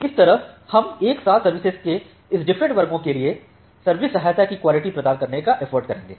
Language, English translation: Hindi, So, that way we will try to provide the quality of service support for this different classes of services in together